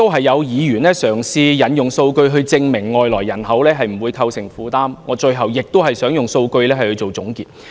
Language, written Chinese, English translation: Cantonese, 有議員嘗試引用數據以證明外來人口不會構成負擔，我最後亦想引用數據來做總結。, Some Members have cited some figures in an attempt to prove that immigrants will not add to our burden . Likewise I would like to cite some figures in concluding my remarks